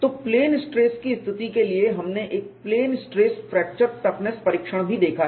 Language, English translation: Hindi, So, for plane stress situation, we have also seen a plane stress fracture toughness testing